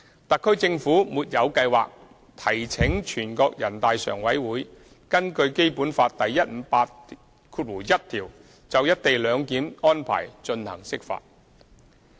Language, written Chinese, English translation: Cantonese, 特區政府沒有計劃提請全國人大常委會根據《基本法》第一百五十八條第一款就"一地兩檢"安排進行釋法。, The HKSAR Government has no plans to request NPCSC to issue an interpretation of the Basic Law pursuant to Article 1581 of the Basic Law with respect to the co - location arrangement